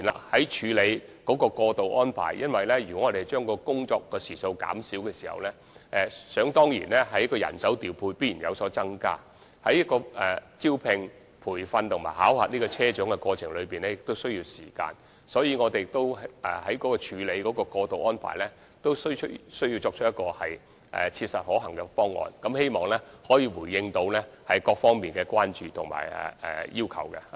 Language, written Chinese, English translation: Cantonese, 在處理過渡方排方面，如果將工作時數減少，人手方面必然須有所增加，而招聘、培訓和考核車長的過程也需要時間，所以，我們在處理過渡安排時，也需要提出切實可行的方案，回應各方面的關注和要求。, In respect of the transitional arrangements a decrease in working hours will definitely lead to an increase in manpower and the recruitment training and assessment of bus captains will also take time . Therefore when making the transitional arrangements it is also necessary to come up with a practicable proposal in order to address the concerns and demands of various parties